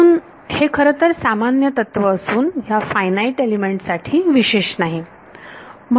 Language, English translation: Marathi, So, it is a actually a general principle not specific to finite element finite element